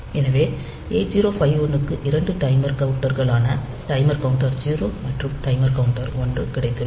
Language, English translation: Tamil, So, 8051 has got two timers counters a timer counter 0 and timer counter 1